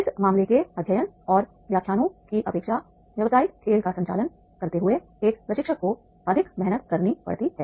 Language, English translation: Hindi, A trainer has to work harder while conducting the business game than these case studies and lectures